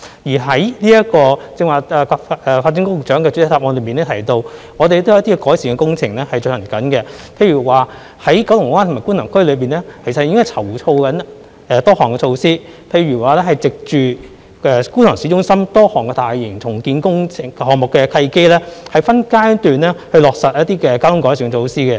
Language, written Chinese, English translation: Cantonese, 發展局局長剛才亦在主體答覆中提到，我們正在進行一些道路改善工程，例如在九龍灣和觀塘區籌劃多項措施，包括藉着觀塘市中心多項大型重建項目的契機，分階段落實一些交通改善措施。, The Secretary for Development has also mentioned in his main reply that we are carrying out a number of road improvement works such as formulating a host of measures in Kowloon Bay and Kwun Tong which include the implementation of a number of traffic improvement measures in phases by taking the opportunity of the various massive redevelopment projects of Kwun Tong Town Centre